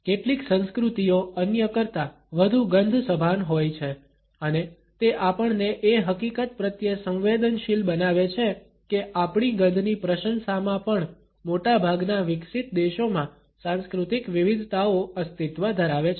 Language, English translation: Gujarati, Some cultures are more smell conscious than others and it sensitizes us to the fact that in our appreciation of smells also, cultural variations do exist in most of the developed countries